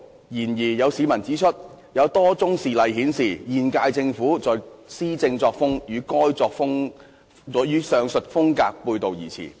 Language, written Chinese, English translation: Cantonese, 然而，有市民指出，有多宗事例顯示現屆政府的施政作風與該風格背道而馳。, However some members of the public have pointed out that as shown in a number of cases the current - term Government has been implementing policies in a manner contrary to the said style